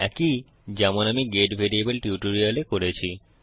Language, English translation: Bengali, The same one that I have done in my get variable tutorial